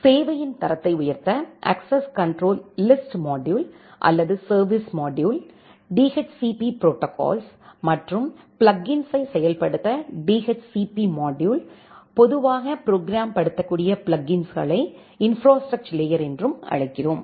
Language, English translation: Tamil, The quality of service module or access control list module to implement access control list or quality of service, DHCP module to implement DHCP protocol and the plug ins, which he called normally as the southbound plug ins to interact with the programmable infrastructure layer